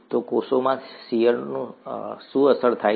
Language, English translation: Gujarati, So what gets affected by shear in cells